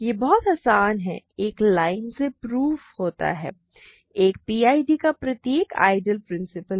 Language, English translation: Hindi, This is very easy right this is a one line proof: every ideal of a PID is principal